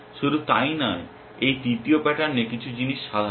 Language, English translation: Bengali, Not only that in this third pattern certain things are common